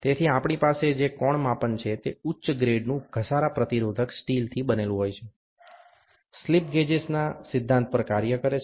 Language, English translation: Gujarati, So, we can angle measurement, which are made of high grade wears resistant steel, work on the similar principle of slip gauges